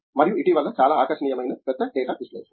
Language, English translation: Telugu, And, recently a very catchy what is coming up is large data analysis